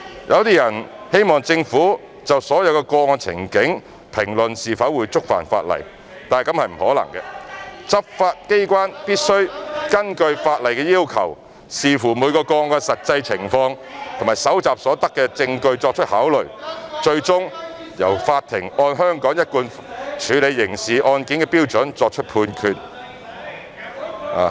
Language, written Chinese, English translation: Cantonese, 有些人希望政府就所有個案情境，評論是否會觸犯法例，這是不可能的，執法機關必須根據法例的要求，視乎每宗個案的實際情況及搜集所得的證據作考慮，最終由法庭按香港一貫處理刑事案件的標準作出判決。, Some people hope that the Government can assess each and every scenario and comment if there is any contravention of the law . This is impossible as the enforcement agency should according to the actual circumstances and evidence collected in each case make consideration in accordance with the law and the court will hand down judgment in accordance with the usual standard of handling criminal cases in Hong Kong